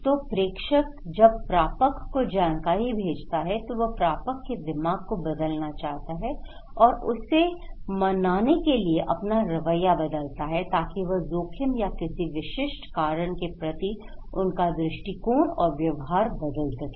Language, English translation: Hindi, So, senders when sending the informations, he wants, he or she wants to change the mind of the receiver and changing their attitude to persuade the receivers of the message to change their attitude and their behaviour with respect to specific cause or class of a risk